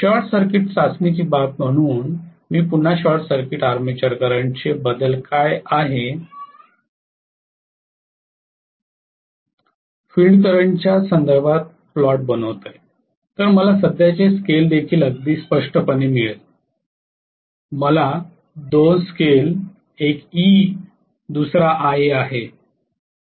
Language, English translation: Marathi, As far as the short circuit test is concern, I will again plot with respect to field current what is the variation of the short circuited armature current, right so I will have a current scale also very clearly, I should have two scale, one is E, the other one is Ia